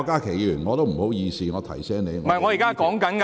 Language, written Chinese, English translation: Cantonese, 主席，不好意思，我提到你。, President excuse me I mentioned you